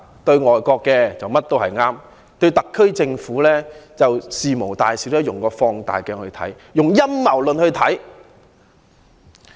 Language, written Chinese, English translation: Cantonese, 對於外國，他們認為甚麼都是對的；對特區政府，就事無大小，都用放大鏡來看，用陰謀論來看。, In their view foreign governments are always right in whatever they do; but for the SAR Government all matters important or trivial must be examined with a magnifying glass and a conspiracy theory